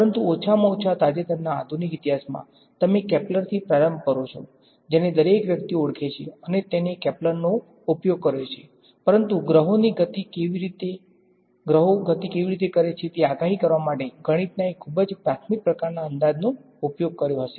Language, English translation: Gujarati, But at least in the recent modern history, you start with the Kepler who everyone is heard of and he used a sort of not calculus, but something predating calculus a very elementary sort of math to predict how planets moved